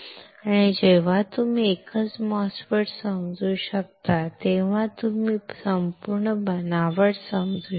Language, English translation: Marathi, And when you are able to understand one single MOSFET you are able to understand entire fabrication